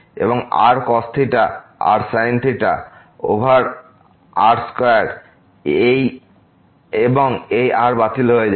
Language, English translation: Bengali, And r cos theta over square and this gets cancelled